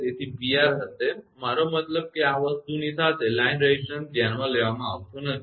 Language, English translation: Gujarati, So, P R will be I mean is along this thing line resistance not considered